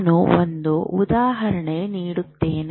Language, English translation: Kannada, And let me give you an example